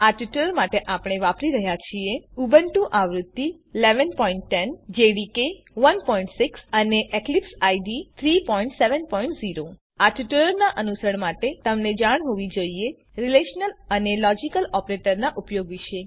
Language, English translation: Gujarati, For this tutorial we are using: Ubuntu v 11.10, JDK 1.6,and EclipseIDE 3.7.0 To follow this tutorial, you should know, about the usage of relational and logical operators